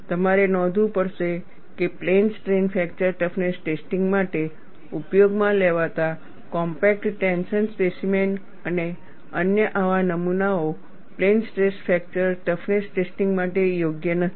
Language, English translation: Gujarati, You have to note, the compact tension specimen and other such specimens used for plane strain fracture toughness testing are not suitable for plane stress fracture toughness testing